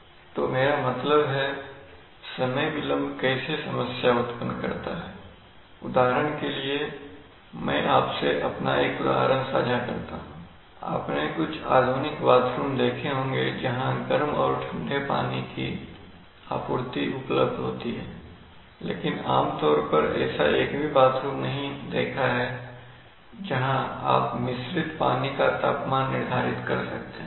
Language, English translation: Hindi, Let me tell you that I mean how time delays cause problems, for example I will tell you, I will share with you one example of mine, have you seen, you must have seen some modern bathrooms where there is a, where there is a there is running hot and cold water supply, so usually, typically you cannot address I have not seen a bathroom where you can set the temperature of the mixed water